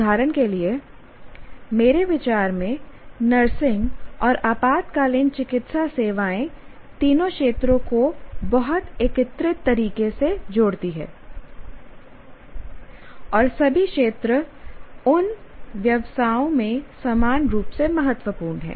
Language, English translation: Hindi, For example, nursing and emergency medical services, in my view, they combine the three domains in a very, very integrated manner and all the domains are equally important in those professions